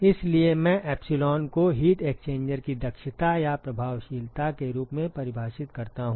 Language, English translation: Hindi, So, I define epsilon as the efficiency or the effectiveness of the heat exchanger ok